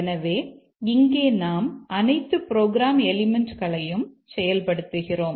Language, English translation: Tamil, So, here we cover or execute all the program elements that we consider